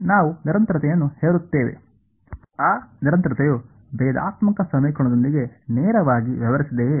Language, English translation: Kannada, We impose continuity, that continuity did it directly deal with the differential equation